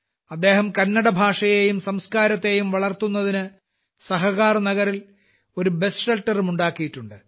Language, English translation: Malayalam, He has also built a bus shelter in Sahakarnagar to promote Kannada language and culture